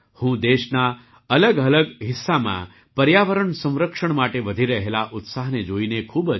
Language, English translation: Gujarati, I am very happy to see the increasing enthusiasm for environmental protection in different parts of the country